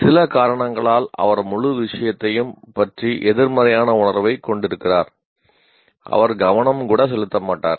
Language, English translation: Tamil, For some reason, he has a negative feeling about the whole thing, he will not pay even attention